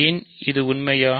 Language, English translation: Tamil, Why is this true